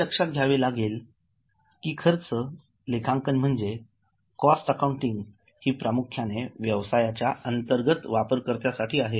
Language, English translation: Marathi, Keep in mind that cost accounting is primarily targeted to internal users